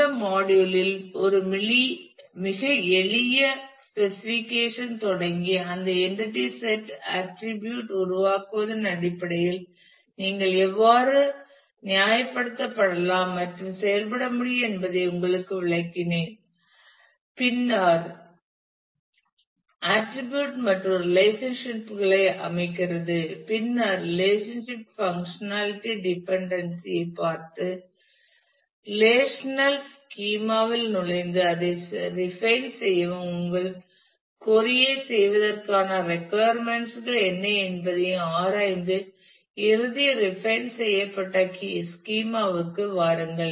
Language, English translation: Tamil, In this module I have shown you illustrated you that how starting from a very simple specification you can reason and work through in terms of creating the entity sets attributes and relationships and then get into the relational schema look at the possible functionality dependency and refine that and also look into what will be the requirements of doing your query and come to a final refined schema